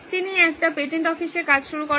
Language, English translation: Bengali, So he started working at a patent office